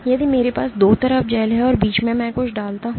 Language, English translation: Hindi, If I have a gel on 2 sides and I put something in between